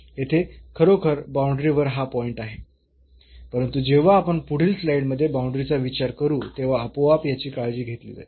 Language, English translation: Marathi, Here indeed this is the point on the boundary, but that will be automatically taken care when we will consider the boundary in the next slide